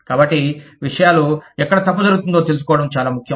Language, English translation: Telugu, so, it is very important to find out, where things are going wrong